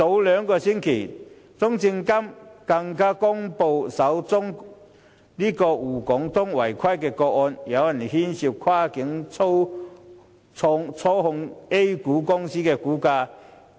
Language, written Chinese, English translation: Cantonese, 兩星期前，中證監更公布了首宗滬港通的違規個案，有人涉嫌跨境操縱 A 股公司的股價。, A fortnight ago CSRC made public the first case of irregularity under the Shanghai - Hong Kong Stock Connect and the person was allegedly involved in manipulating the prices of A - shares companies across the boundary